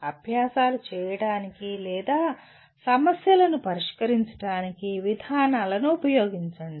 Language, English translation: Telugu, Use procedures to perform exercises or solve problems